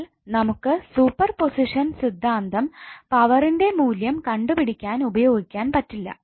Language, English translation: Malayalam, So you cannot apply super position theorem to find out the value of power why